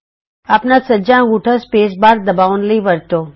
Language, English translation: Punjabi, Use your right thumb to press the space bar